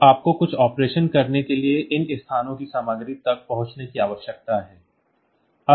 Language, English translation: Hindi, Now you need to access the contents of these locations for doing some operation